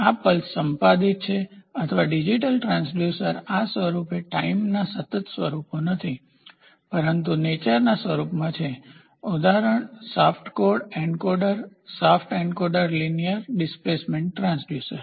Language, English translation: Gujarati, So, this is pulsed or digital transducer these forms are not continuous forms of time, but are discrete in nature example shaft code encoder a shaft encoder linear displacement transducer